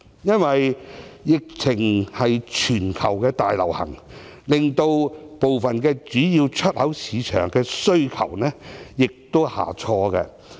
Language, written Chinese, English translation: Cantonese, 因為疫情現時全球大流行，令部分主要出口市場的需求下挫。, Since the epidemic is currently affecting the whole world the demands in some of our major export markets have reduced